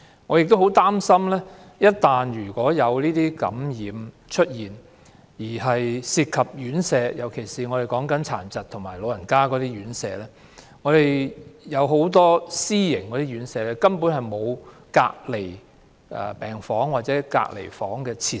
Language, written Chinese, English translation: Cantonese, 我很擔心一旦院舍出現感染情況，尤其是殘疾人士及長者院舍，情況就難以控制，因為很多私營院舍沒有隔離病房或隔離設施。, I am very worried that once infection happens in residential care homes particularly those for persons with disabilities and for the elderly the situation will be difficult to control as many private residential care homes do not have isolation wards or isolation facilities